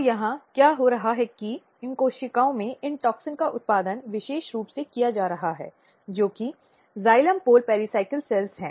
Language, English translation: Hindi, So, here what is happening that these toxins are being produced very specifically in these cells which is xylem pole pericycle cells